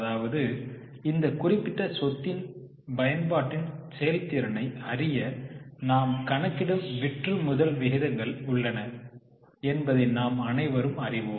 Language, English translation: Tamil, You know that there are turnover ratios which we calculate to know the efficiency in use of that particular asset